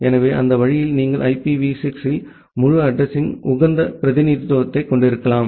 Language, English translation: Tamil, So, that way you can have a more optimized representation of the entire address in IPv6